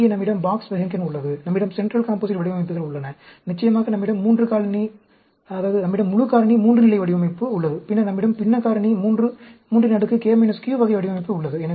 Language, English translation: Tamil, Here, we have the Box Behnken; we have the central composite designs; we have the, of course, the full factorial 3 level design; then, we have the fractional factorial 3 k minus q type of design and so on